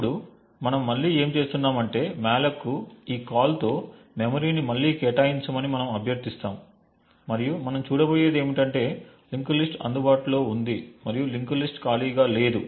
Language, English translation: Telugu, for memory to be allocated again with this call to malloc and what we would see is that since the linked list is available and the link list is not empty